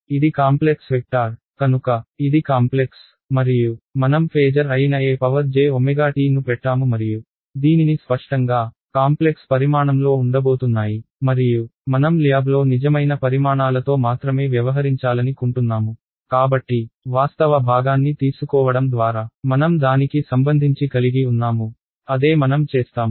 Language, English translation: Telugu, And I have put the e to the j omega t that is the phasor and I this is; obviously, going to be a complex quantity and since I want to only deal with real valued quantities in the lab world so I related by taking the real part so, that is what we will do